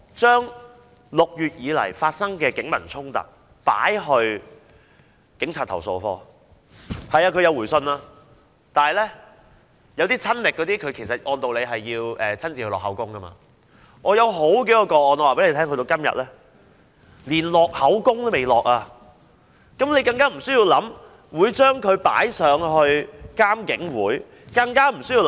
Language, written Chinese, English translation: Cantonese, 就6月以來曾經發生的警民衝突，我們已向投訴警察課投訴，投訴課是有回信的，但一些我們親歷的個案是需要親身錄口供的，而有多宗個案至今連錄口供的程序也未進行，遑論提交監警會處理。, Regarding the clashes between the Police and members of the public that occurred since June we have lodged complaints to the Complaints Against Police Office CAPO . CAPO has sent us replies . However for cases which we witnessed or experienced in person we have to give our statements yet this procedure of recording statements for a number of cases has not yet been carried out not to mention submitting the cases to IPCC for handling